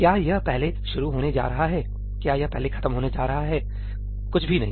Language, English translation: Hindi, Is it going to start first, is it going to finish first nothing at all